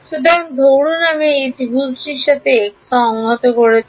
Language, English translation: Bengali, So, supposing I got x integrated over this triangle